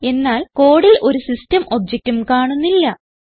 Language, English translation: Malayalam, But there is nothing like system object in the code